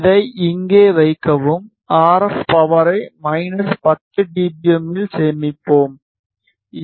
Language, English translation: Tamil, Place it here and let us keep the RF power at minus 10 dBm save it